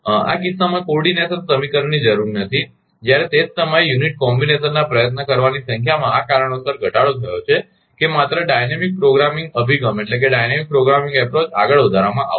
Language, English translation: Gujarati, In this case coordination equation need not required, while at the same time the unit combination to be tried are much reduced in number for this reason only the dynamic ah programming approach will be advanced